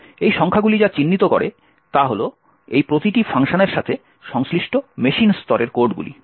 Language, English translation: Bengali, What these numbers actually represent are the machine level codes corresponding to each of these functions